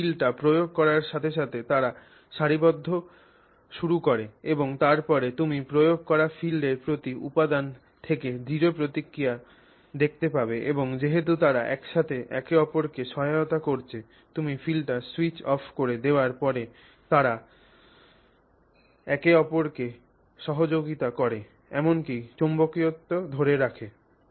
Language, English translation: Bengali, So, the, so that is why they start aligning as you apply the field and then you see the strong response from the material to the applied field and since they are cooperatively assisting each other, they hold the, you know, they hold, even after you have switched off the field, after you have switched off the applied field, they are actually assisting each other